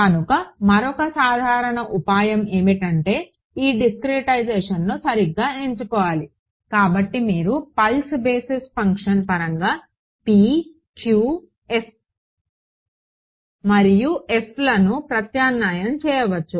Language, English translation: Telugu, So, another common trick that is done is because this discretization is going to be chosen to be fine you can in fact, substitute p q and f in terms of a pulse basis function